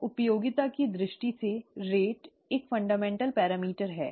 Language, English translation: Hindi, So, rate is a fundamental parameter in terms of usefulness